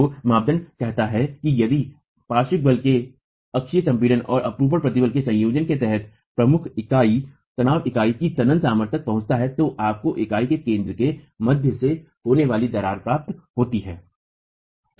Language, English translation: Hindi, So, the criterion says that if under a combination of axial compression and shear stress from the lateral force, the principal tension reaches the tensile strength of the unit, then you get the failure, the crack occurring through the center of the unit